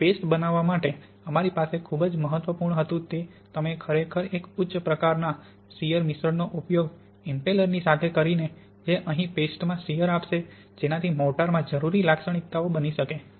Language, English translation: Gujarati, And for paste we had very important that you really use a kind of high shear mixing with some kind of impeller which will impart shear to the paste such as down here to simulate the conditions in the mortar